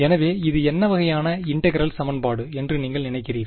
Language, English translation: Tamil, So, what kind of an integral equation do you think, this is